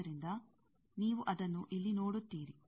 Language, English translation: Kannada, So, you see that, you see here